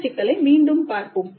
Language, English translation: Tamil, So this issue again we'll look into later